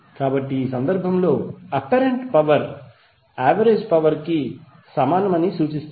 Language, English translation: Telugu, So that implies that apparent power is equal to the average power in this case